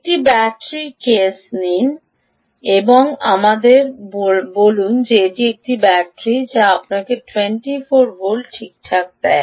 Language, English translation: Bengali, take a battery case, ok, and let us say: this is a battery which gives you twenty four volts